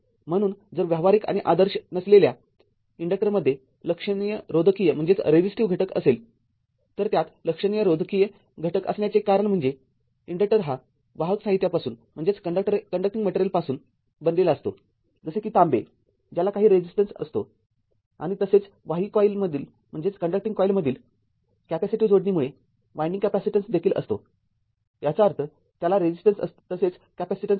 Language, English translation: Marathi, So, if practical and non ideal inductor has a significant resistive component, it has significant resistive component due to the your fact that the inductor is made of a your what you call conducting material such as copper, which has some resistance and also has a winding capacitance due to the your capacitive coupling between the conducting coils; that means, it has resistance also some capacitance is there right